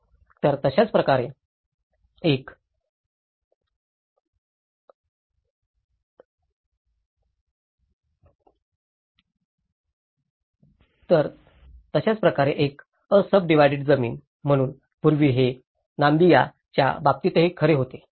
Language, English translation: Marathi, So, similarly, an unsubdivided land, so earlier, it was true in similar cases of Namibia as well